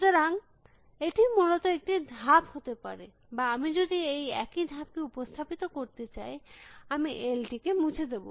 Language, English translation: Bengali, So, this could be a move essentially or if I want represent the same move, I will delete L